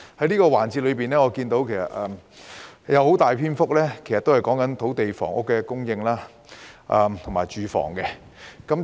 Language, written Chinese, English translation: Cantonese, 這個環節的辯論中有很大篇幅是關於土地及房屋的供應，以及居住環境。, A large part of this debate session has been devoted to the supply of land and housing as well as the living environment